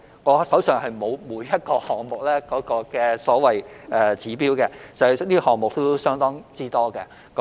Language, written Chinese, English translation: Cantonese, 我手上並沒有每一個項目的所謂"指標"，因為項目亦相當多。, I do not have the so - called indicators at hand for there are quite a lot of programmes